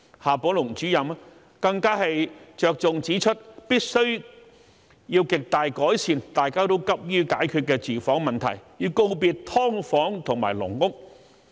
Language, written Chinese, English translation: Cantonese, 夏寶龍主任更着重指出必須極大改善大家均急於解決的住房問題，告別"劏房"和"籠屋"。, Director XIA Baolong also highlighted the need to greatly improve the housing problem that everyone is eager to solve and to bid farewell to subdivided units and caged homes